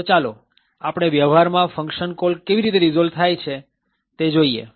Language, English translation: Gujarati, So, let us see how function calls are resolved in practice